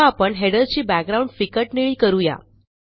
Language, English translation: Marathi, We will now, give the header a light blue background